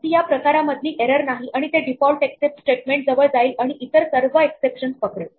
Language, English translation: Marathi, It is not a type of error and it will go to the default except statement and catch all other exceptions